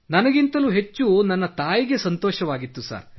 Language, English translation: Kannada, My mother was much happier than me, sir